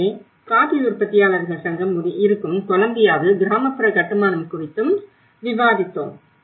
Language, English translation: Tamil, So, we did discussed about the rural constructions in Columbia where the coffee growers associations